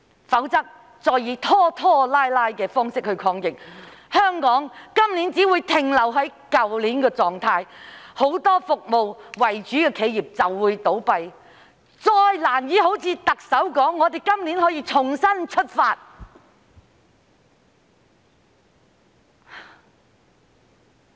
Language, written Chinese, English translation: Cantonese, 如果再以拖拖拉拉的方式抗疫，香港今年只會停留在去年的狀態，很多以提供服務為主的企業便會倒閉，本港再難以像特首所說，在今年重新出發。, If the Government continues to procrastinate in the fight against the epidemic this year Hong Kong will only be caught in the same state as last year and many service - oriented enterprises will close down . Hong Kong can hardly relaunch with renewed perseverance this year as the Chief Executive has said